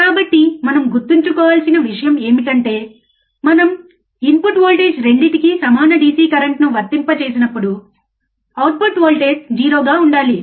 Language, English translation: Telugu, So, the point that we have to remember is, when we apply equal DC currents to the input voltage to both the input voltage, right